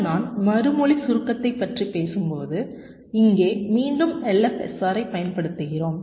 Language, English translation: Tamil, ok, now, when i talk about response compaction and here again we are using l, f, s, r